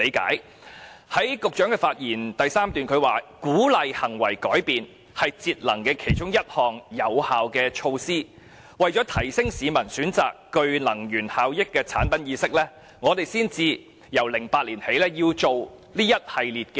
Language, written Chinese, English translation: Cantonese, 局長在其開場發言的第三段表示，鼓勵行為改變是節能其中一項有效的措施，為了提升市民選擇具能源效益的產品意識，政府才由2008年起推行一系列措施。, In the third paragraph of his opening speech the Secretary said that encouraging behavioural change is one of the effective measures for energy saving . To enhance public awareness of energy - efficient products the Government has implemented a series of measures since 2008